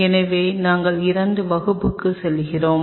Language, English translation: Tamil, So, we are going to the second class